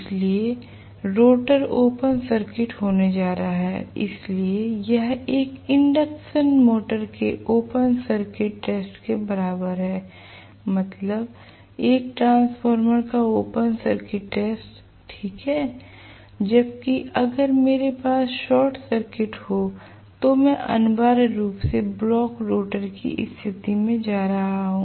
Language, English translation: Hindi, So, I am going to have rotor open circuited so this is equivalent to open circuit test of an induction motor, open circuit test of a transformer I mean okay whereas if I am going to have short circuit so if I am going to have essentially the block rotor condition